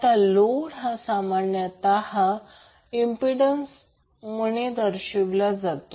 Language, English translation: Marathi, Now, the load is generally represented by an impedance